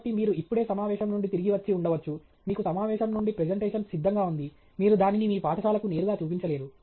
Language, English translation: Telugu, So, you may have just returned from a conference, you have a presentation ready from the conference, you cannot just directly show that to your school